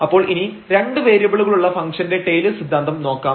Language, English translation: Malayalam, So, what is the Taylors theorem of function of single variables we need to just recall